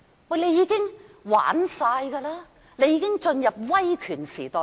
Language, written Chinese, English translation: Cantonese, 政府已經操控一切，香港已經進入威權時代。, With everything under the control of the Government Hong Kong has been ushered into an era of authoritarianism